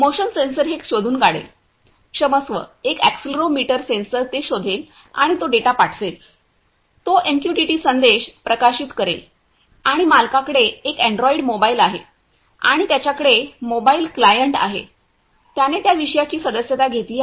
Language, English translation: Marathi, The motion sensor will detect it; sorry the accelerometer sensor would detect it and it will send, it will publish a MQTT message and the owner has an android mobile and he has a mobile client impunity client, he has subscribed to that topic